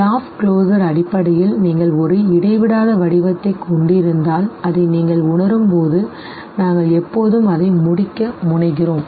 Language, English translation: Tamil, Law of closure basically says that if you have a discontinuous shape and when you perceive it we always tend to complete it and this completeness is based on whatever we are familiar with